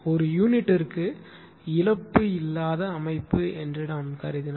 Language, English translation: Tamil, In per unit whatever assuming it is a lossless system